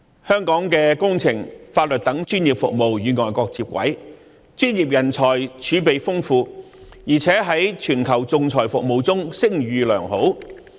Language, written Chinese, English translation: Cantonese, 香港的工程和法律等專業服務與外國接軌，專業人才儲備豐富，而且在全球仲裁服務中聲譽良好。, The professional services in Hong Kong such as engineering and legal services are on a par with the international community . We have an abundant reserve of professionals and talents and a good reputation in arbitration services worldwide